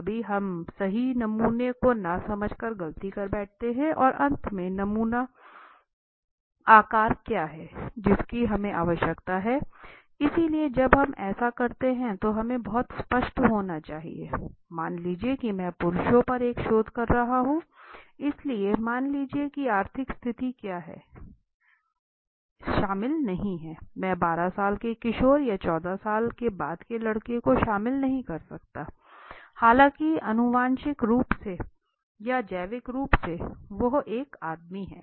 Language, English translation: Hindi, Sometimes we conduct mistake by understanding not understanding the right sample and finally what is the sample size what is the sample size that we need so when we do this we have to be very clear suppose I m conducting a research on let say on men and men does not include suppose what is the let say the economic status I cannot include boy after 12 year old teen or 14 year old teen in that side although is a man right is a genetically or biologically is a man